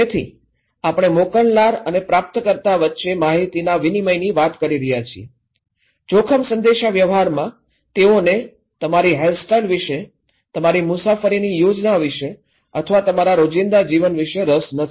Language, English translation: Gujarati, So, exchange of information when we are talking between senders and receivers, no in risk communications they are not interested about your hairstyle, about your travel plan or about your day to day life